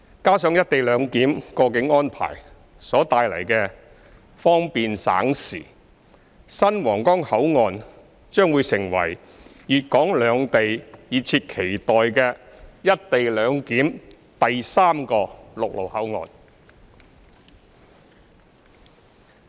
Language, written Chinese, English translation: Cantonese, 加上"一地兩檢"過境安排帶來的方便省時，新皇崗口岸將會成為粵港兩地熱切期待的"一地兩檢"第三個陸路口岸。, Together with the convenient and time - saving customs clearance services realized by co - location arrangement the new Huanggang Port will turn into the third land crossing with co - location arrangement that is eagerly anticipated by the two places of Guangdong and Hong Kong